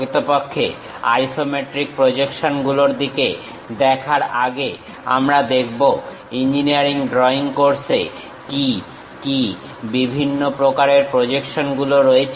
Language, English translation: Bengali, Before really looking at isometric projections, we will see what are these different kind of projections involved in engineering drawing course